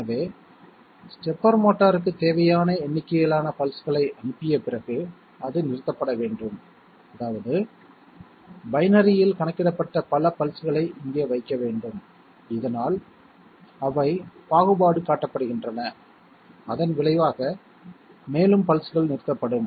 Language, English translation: Tamil, So when you have sent the required number of pulses to the stepper motor, it should stop so that means those many pulses counted in binary should be put here so that they are discriminated and consequently further pulses will be stopped